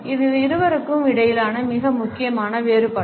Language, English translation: Tamil, And this is by far the more significant difference between the two